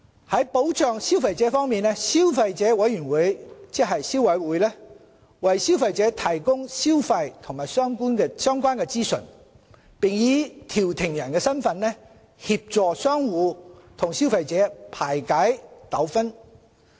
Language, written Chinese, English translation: Cantonese, 在保障消費者方面，消費者委員會為消費者提供消費及相關資訊，並以調停人的身份，協助商戶及消費者排解糾紛。, On consumer protection the Consumer Council offers consumption and related information to consumers and acts as a conciliator in an effort to bring settlement to the dispute between traders and consumers